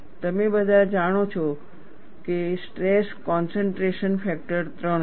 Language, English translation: Gujarati, All of you know that the stress concentration factor is 3